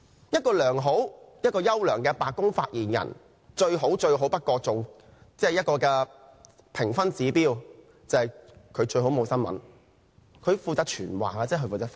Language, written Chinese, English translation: Cantonese, 一個優秀的白宮發言人最佳的評分指標，就是沒有新聞，只是負責傳話和發言。, The best scoring indicator of an outstanding White House Press Secretary is creating no news about him for he should be responsible for conveying messages and making statements only